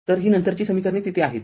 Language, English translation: Marathi, So, this later later equations are there right